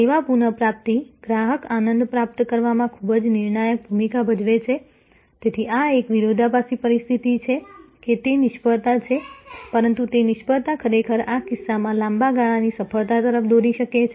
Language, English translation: Gujarati, Service recovery, therefore place a very a crucial role in achieving customer delight, so this is a paradoxical situation; that it is a failure, but that failure can lead really in this case to long term success